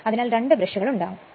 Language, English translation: Malayalam, So, 2 brushes will be there